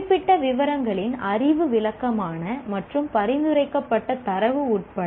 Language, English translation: Tamil, Knowledge of specific details, including descriptive and prescriptive data